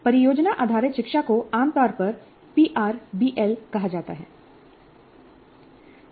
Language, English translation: Hindi, Project based learning is generally called as PRBL